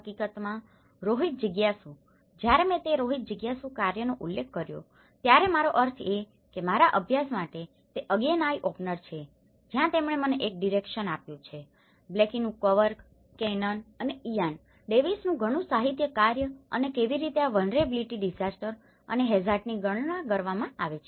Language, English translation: Gujarati, In fact, Rohit Jigyasu’s, when I referred with that Rohit Jigyasu’s work, I am mean that is an again and eye opener for my study where, he have given me a direction that a lot of literature from Blaikie’s work, Canon and Ian Davis work and how these vulnerability disaster and hazard have been worked out